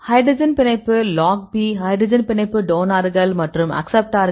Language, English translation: Tamil, Hydrogen bond, log P; hydrogen bond donors and acceptors